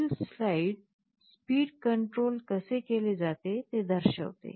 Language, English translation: Marathi, The next slide actually shows you how the speed control is done